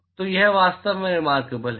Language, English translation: Hindi, So, it is really remarkable